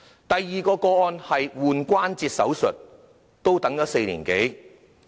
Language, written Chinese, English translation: Cantonese, 第二宗個案是關節置換手術，也等了4年多。, The second example is about joint replacement surgery which involves a wait of more than four years